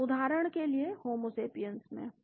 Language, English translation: Hindi, So, in homesapiens for example